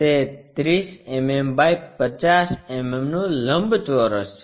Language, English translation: Gujarati, It is a 30 mm by 50 mm rectangle